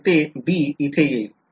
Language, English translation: Marathi, So, the b will come in over here